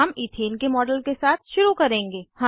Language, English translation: Hindi, We will begin with a model of Ethane